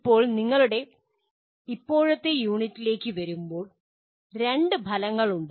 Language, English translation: Malayalam, Now coming to our present unit, there are two outcomes